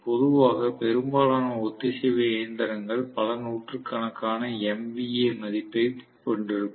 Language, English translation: Tamil, Normally, most of the synchronous machines are going to have a rating of several hundreds of MVA